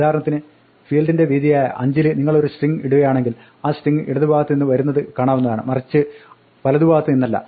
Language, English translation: Malayalam, In a field of width 5 for example, if you want to put a string you might say the string should come from the left, not from the right